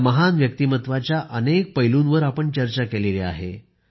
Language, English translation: Marathi, We have talked about the many dimensions of his great personality